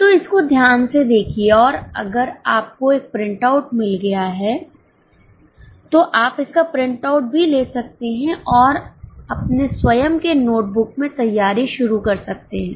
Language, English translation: Hindi, So go through it and if you have got a printout you can take it from the printout also and start preparing in your own notebook